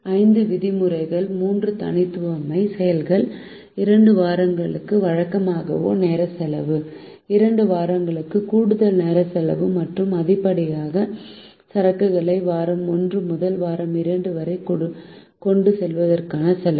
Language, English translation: Tamil, three: district cost, regular time cost for two weeks, overtime cost for two week and cost of carrying the excess inventory from week one to week two